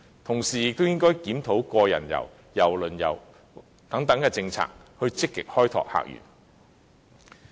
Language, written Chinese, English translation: Cantonese, 同時，當局也應檢討個人遊、郵輪旅遊等政策，積極開拓客源。, The authorities should in parallel review the policies on the Individual Visit Scheme cruise tourism and so on with a view to actively opening up new visitor sources